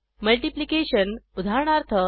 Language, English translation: Marathi, * Multiplication: eg